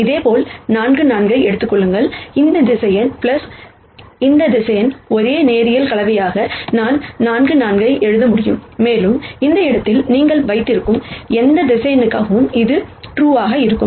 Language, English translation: Tamil, Similarly, take 4 4, I can write 4 4 as a linear combination of this vector plus this vector and that would be true for any vector that you have in this space